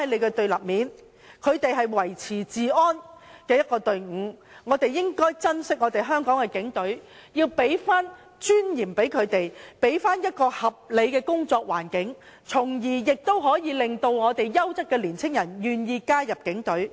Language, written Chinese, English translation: Cantonese, 警隊是維持治安的隊伍，我們應當珍惜香港的警隊，要將尊嚴還給他們，要給他們合理的工作環境，從而令優質年青人願意加入警隊。, The Police are a team maintaining law and order so we should treasure the Hong Kong Police Force and give them respect and a reasonable working environment so that quality young people will be willing to join the Police Force